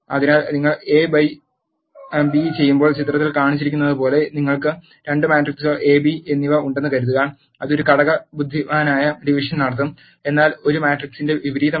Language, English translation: Malayalam, So, let us suppose you have two matrices A and B as shown in the figure when you do A by B it will perform an element wise division, but not the inverse of a matrix